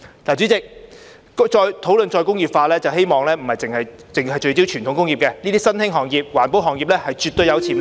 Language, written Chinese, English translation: Cantonese, 主席，討論再工業化時，我希望不單聚焦傳統工業，這些新興行業、環保行業是絕對具潛力的......, President when discussing re - industrialization I wish to not only focus on traditional industries as such newly emerged industries and environmental industries definitely have potential